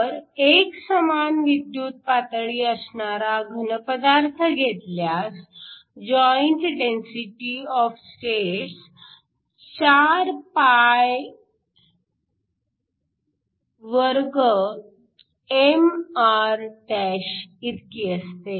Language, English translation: Marathi, So, Again, if you assume a solid with a uniform potential then the joint density of states is 4π2mr*